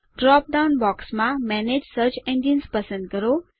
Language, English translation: Gujarati, In the drop down box, select Manage Search Engines